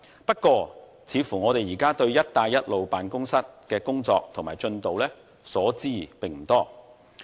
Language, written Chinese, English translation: Cantonese, 不過，我們對"一帶一路"辦公室的工作及進度卻所知不多。, However we know very little about the work progress of the Belt and Road Office